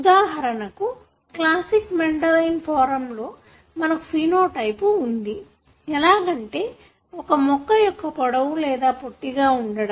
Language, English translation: Telugu, For example, in the classic Mendelian form, you have phenotype, that is for example, a plant being tall or being short